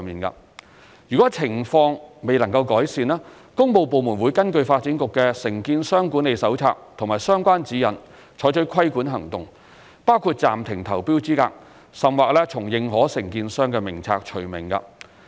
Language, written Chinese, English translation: Cantonese, 如情況未能改善，工務部門會根據發展局的《承建商管理手冊》及相關指引採取規管行動，包括暫停投標資格，甚或從認可承建商名冊除名。, If the unsatisfactory situation persists the works departments will follow the Development Bureaus Contractor Management Handbook and relevant guidelines to take regulating actions against the contractor including temporary suspension from tendering or even removal from the lists of approved contractors for public the works